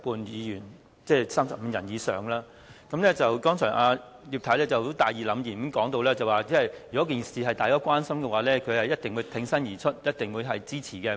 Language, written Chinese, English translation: Cantonese, 葉劉淑儀議員剛才大義凜然的說，如果事件是大家關心的話，她一定會挺身而出支持。, Earlier on Mrs Regina IP said righteously that if the substance of the petition was a concern to all she would definitely rise in her place to show support